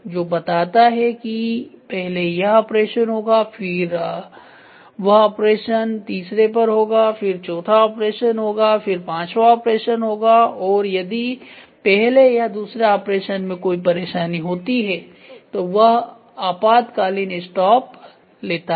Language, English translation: Hindi, So, which tries to say first this operation to happen that operation to happen third operation forth operation fifth operation and if at all there is any problem in the first or second it goes to an emergency stop